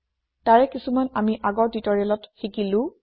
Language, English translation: Assamese, We learnt some of them in earlier tutorials